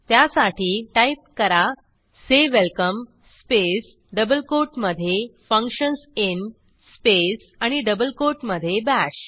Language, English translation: Marathi, So, I havesay welcome space within double quote functions in space and within double quote Bash